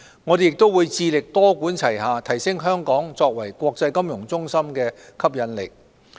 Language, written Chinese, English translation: Cantonese, 我們亦會致力多管齊下，提升香港作為國際金融中心的吸引力。, We will also strive to sharpen Hong Kongs attractiveness as an international financial centre through a multi - pronged approach